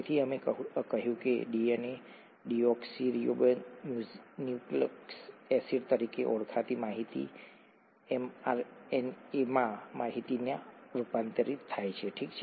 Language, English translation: Gujarati, So we said that the information in what is called the DNA, deoxyribonucleic acid, gets converted to information in the mRNA, okay